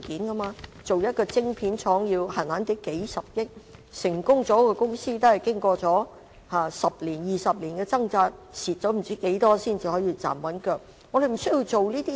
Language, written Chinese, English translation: Cantonese, 設立一間晶片廠，動輒要數十億元，成功的公司經過十多二十年的掙扎，不知虧蝕了多少金錢才能站穩陣腳。, Setting up a factory for manufacturing chips often requires billions of dollars . To attain success a company needs to struggle for 10 to 20 years and it can only gain a firm footing after losing a large amount of money